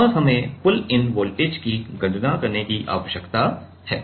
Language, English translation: Hindi, And we need to calculate the pull in voltage